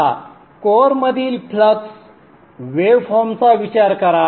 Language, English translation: Marathi, Now consider the flux waveform